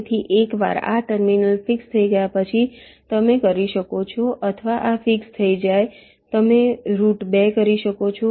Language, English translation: Gujarati, so once these terminals are fixed, you can or these are fixed, you can route two